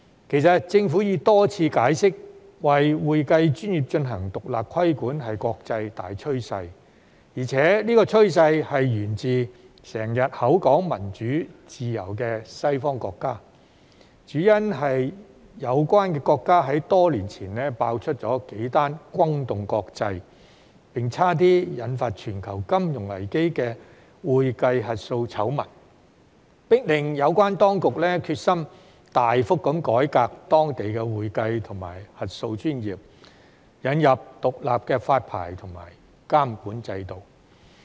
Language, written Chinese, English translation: Cantonese, 其實，政府已多次解釋，為會計專業進行獨立規管是國際大趨勢，而且這個趨勢源自經常口說民主自由的西方國家，主因是有關國家在多年前爆出數宗轟動國際，並幾乎引發全球金融危機的會計核數醜聞，迫令有關當局決心大幅改革當地的會計及核數專業，引入獨立的發牌和監管制度。, In fact the Government has repeatedly explained that independent regulation of the accounting profession is an international trend a trend originating in Western countries that always talk about democracy and freedom . It is mainly due to several accounting and audit scandals that broke out in these countries years ago which sent shockwaves through the international community and almost sparked off a global financial crisis . The relevant authorities were then forced to resolutely reform their accounting and auditing professions drastically and introduce an independent licensing and regulatory system